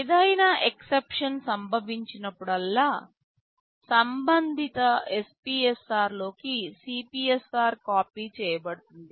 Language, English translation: Telugu, Whenever any exception occurs, the CPSR will be copied into the corresponding SPSR